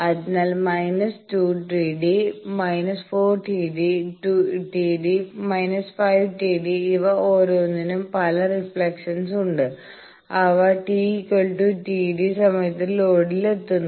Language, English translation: Malayalam, So, minus 2 T d minus; 4 T d minus 5 T d all those ones having several reflections they are also arriving at the load at that time t is equal to T d